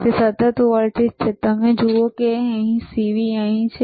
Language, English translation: Gujarati, It is constant voltage, you see CV there is here